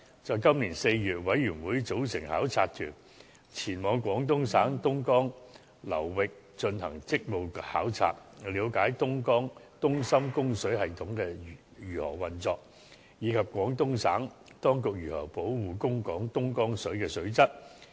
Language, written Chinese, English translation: Cantonese, 在今年4月，委員組成考察團，前往廣東省東江流域進行職務考察，了解東深供水系統如何運作，以及廣東省當局如何保護供港東江水的水質。, In April 2017 the Panel formed a delegation to visit the Dongjiang River Basin in Guangdong Province . The purpose of the duty visit was to learn about the operation of the Dongjiang - Shenzhen Water Supply System and the measures taken by the Guangdong Provincial authorities in safeguarding the quality of Dongjiang water supplied to Hong Kong